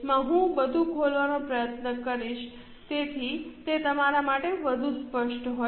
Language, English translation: Gujarati, I'll try to open everything so that it's more clear to you